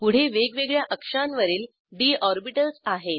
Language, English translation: Marathi, Next, we have d orbitals in different axes